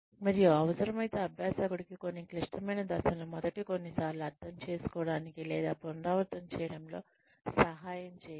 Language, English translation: Telugu, And, if required, then help the learner, understand or repeat some of the complicated steps, the first few times